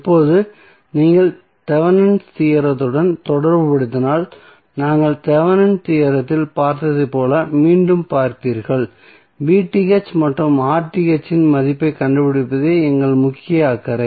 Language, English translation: Tamil, Now, if you correlate with the Thevenin's theorem you will see again as we saw in Thevenin theorem that our main concerned was to find out the value of V Th and R th